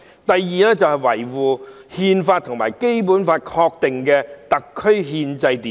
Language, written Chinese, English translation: Cantonese, 第二，維護《中華人民共和國憲法》和《基本法》確定的特區憲制秩序。, The second one is to uphold the constitutional order in SAR as established by the Constitution of the Peoples Republic of China and the Basic Law